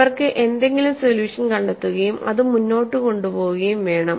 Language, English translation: Malayalam, So, they have to get some kind of a solution and carry forward